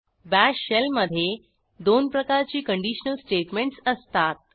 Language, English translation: Marathi, The Bash shell has two forms of conditional statements